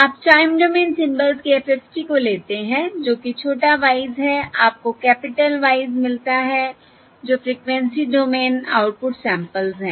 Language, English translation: Hindi, yeah, You take the FFT of the time domain symbols, that is, the small ys, you get the capital Ys, which are the frequency domain output samples, That is, um output Y